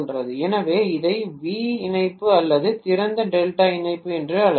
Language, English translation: Tamil, So we call this as V connection or open delta connection